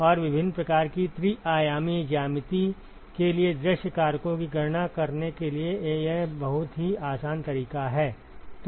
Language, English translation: Hindi, And this is a very very handy method to calculate view factors for various kinds of three dimensional geometry